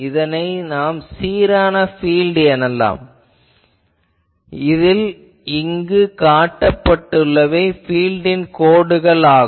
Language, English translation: Tamil, So, we can assume an uniform field here, here also an uniform field and you see the this is the field lines are shown